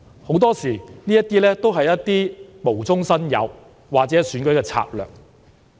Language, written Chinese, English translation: Cantonese, 很多時，這些指控都是無中生有，或是選舉的策略。, Very often such kind of accusation is groundless or is just an election strategy